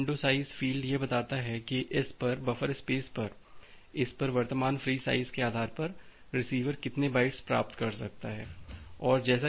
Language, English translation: Hindi, So, this window size field it tells that how many bytes the receiver can receive, based on the current free size at it is buffer space